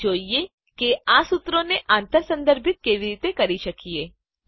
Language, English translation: Gujarati, Let us now see how we can cross reference these formulae